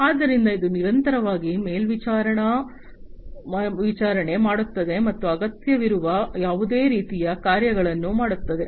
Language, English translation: Kannada, So, this will continuously monitor, and do any kind of actuation that might be required